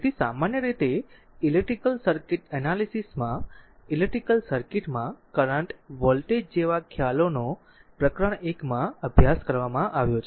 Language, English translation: Gujarati, So, generally your in the in the electrical circuit analysis, right the concept such as current voltage and power in an electrical circuit have been we have studied in the chapter 1